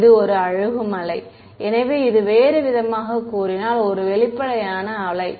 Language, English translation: Tamil, It is a decaying wave right so this is, in other words, an evanescent wave